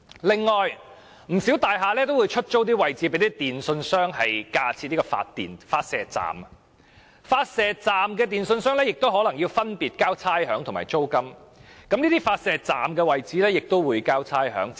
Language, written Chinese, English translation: Cantonese, 另外，不少大廈都會出租位置給電訊商架設發射站，電訊商亦要繳付有關位置的差餉和租金，其發射站亦須繳交差餉。, Also many buildings rent out space to telecommunications service providers for the erection of broadcasting stations . The telecommunications service providers have to pay rates and rent for the space occupied; their broadcasting stations are also subject to rates